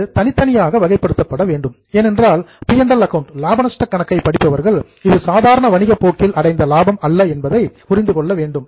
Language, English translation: Tamil, It needs to be separately categorized because readers of P&L account should know that this is not a profit in the normal course of business